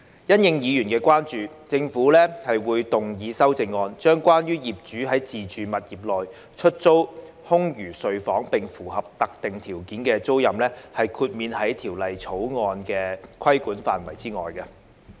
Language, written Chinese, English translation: Cantonese, 因應委員的關注，政府會動議修正案，將關於業主在自住物業內出租空餘睡房並符合特定條件的租賃，豁免於《條例草案》規管範圍之外。, In response to members concerns the Government will move an amendment to exclude tenancies of which the landlord rents out vacant bedrooms of hisher own premise and certain conditions are satisfied from the scope of regulation under the Bill